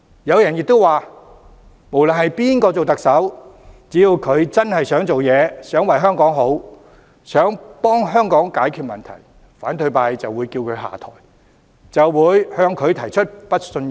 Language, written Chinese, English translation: Cantonese, 有人亦指出不論誰當特首，只要他真的想做事、想為香港好、想為香港解決問題，反對派就會叫他下台，對他提出不信任議案。, Some have also pointed out that no matter who becomes the Chief Executive as long as he really wants to do something good to and find solutions for Hong Kong the opposition camp will demand him to step down and move a motion of no confidence in him